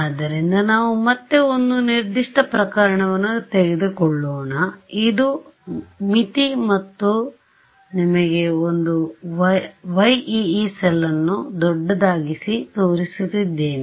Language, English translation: Kannada, So, let us take a definite case again this is my boundary and I am showing you one Yee cell ok